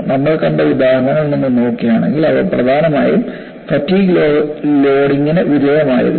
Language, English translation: Malayalam, See, if you look at the examples which we had seen, they were essentially subjected to fatigue loading